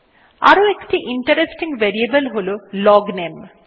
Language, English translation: Bengali, Another interesting variable is the LOGNAME